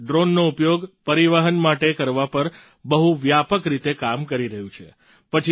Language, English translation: Gujarati, India is working extensively on using drones for transportation